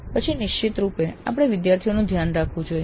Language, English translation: Gujarati, Then of course we must track the students